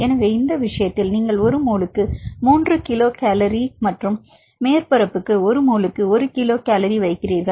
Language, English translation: Tamil, So, in this case you put 3 kilo cal per mole and for the surface and you can take 1 kilo cal per mole for the standard case